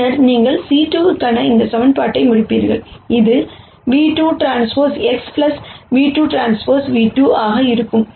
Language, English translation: Tamil, And then you will end up with this equation for c 2, which will be nu 2 transpose X plus nu 2 transpose nu 2